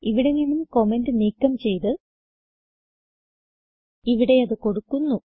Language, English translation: Malayalam, Delete the comment from here and put it here